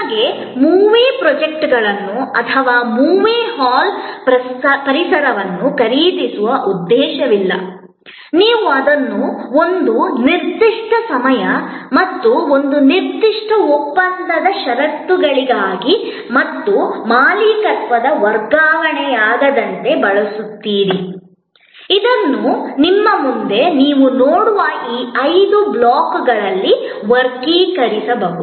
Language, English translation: Kannada, You have no intention of buying movie projectors or the movie hall ambience, you use it for a certain time and a certain contractual conditions and this non transfer of ownership, which can be categorized in these five blocks that you see in front of you